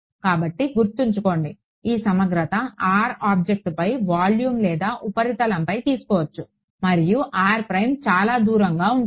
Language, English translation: Telugu, So remember, in this integral r is over the object either surface of volume and r prime is far away correct